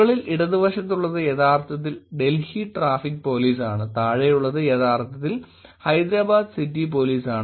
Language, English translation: Malayalam, The one on the top left is actually Delhi traffic police, the one on the bottom is actually Hyderabad city police